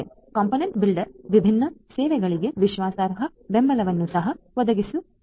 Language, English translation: Kannada, The component builder will also have to provide trust support for different services